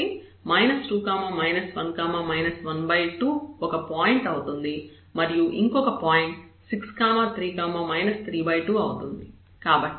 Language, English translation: Telugu, So, minus 2 minus 1 and minus 1 by 2 is one point another one is 6 3 and minus 3 by 2